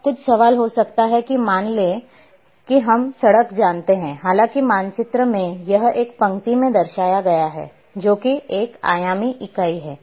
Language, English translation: Hindi, Now there might be some question that suppose in reality we know road though in map it is represented in a line that means one dimensional entity